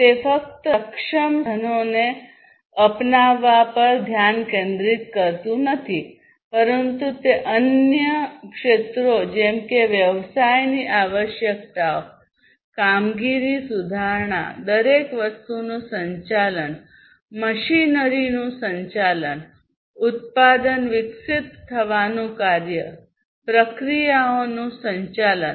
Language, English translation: Gujarati, And it does not focus on just the adoption of the lean tools, but also it focuses on different other areas such as business requirements, operation improvement, operation of everything, operation of the machinery, operation of the product being developed, operation of the processes